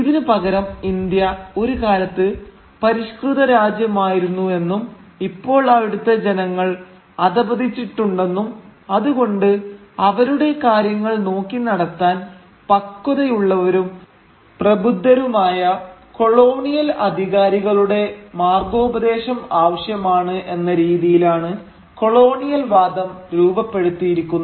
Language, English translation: Malayalam, Rather, the way the colonial argument was shaped was like this that India was once a civilised land but its people had now fallen from that grace and that is why they need the mature and enlightened guidance of the colonial authority to conduct their affairs